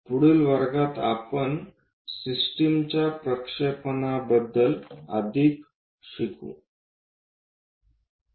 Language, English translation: Marathi, In the next class, we will learn more about projections of the system